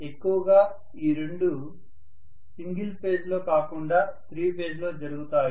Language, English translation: Telugu, Mostly these two are done in 3 phase, not in single phase